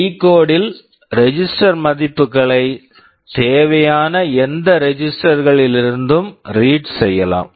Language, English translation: Tamil, Within the decode, the register values are also read whatever registers are required